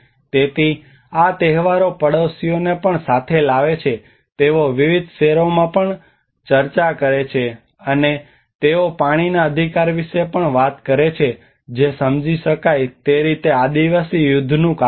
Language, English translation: Gujarati, So these feasts also brings the neighbours together they also discuss various stocks, and they also talks about the water rights understandably have been the cause of tribal wars